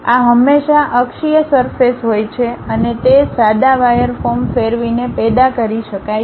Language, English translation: Gujarati, This always be axisymmetric surface and it can be generated by rotating a plain wire form